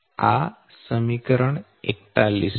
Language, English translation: Gujarati, this is equation forty one